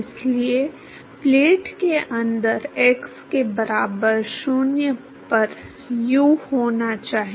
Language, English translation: Hindi, So, u at x equal to 0 inside the plate